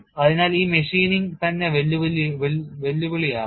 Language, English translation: Malayalam, So, this measuring itself is going to be challenging